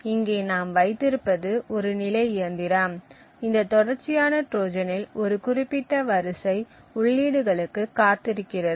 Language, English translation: Tamil, So, what we have over here is a state machine, in this sequential Trojan the trigger is waiting for a specific sequence of inputs to appear